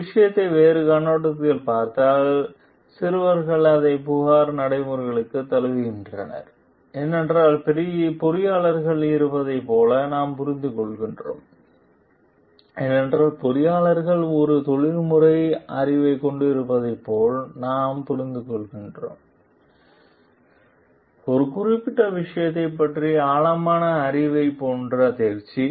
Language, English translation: Tamil, So, looking at one thing from a different perspective, then boys embrace it to the complaint procedure because we understand like the engineers having; because we understand like the engineers having a professional knowledge, competency like in depth knowledge about a particular subject matter